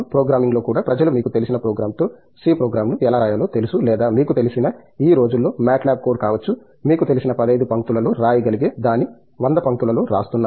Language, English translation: Telugu, Even in programming people know how to write a c program with same program with or may be a mat lab code as this called these days you know, use 100 lines to write something which is worth may be you know, 15 lines